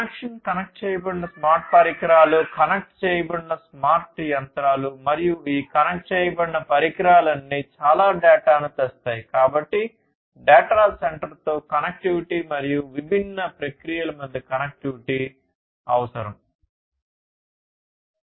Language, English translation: Telugu, Connection connected smart devices, connected smart machines, connected, and all of these connected devices will bring in lot of data; so connectivity with the data center and connectivity between the different processes